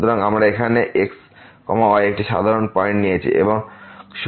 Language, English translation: Bengali, So, we have taken here a general point